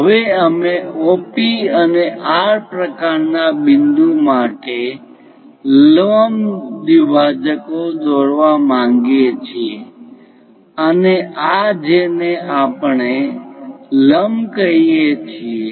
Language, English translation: Gujarati, Now, we will like to construct a perpendicular bisector for OP and R kind of point and this one what we are calling as normal